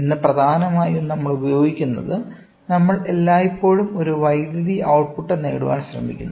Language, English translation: Malayalam, Today, predominantly what we use, we always try to have an electrical output